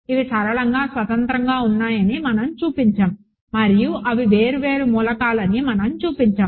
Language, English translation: Telugu, So, we have shown that these are linearly independent and we have shown that they are different elements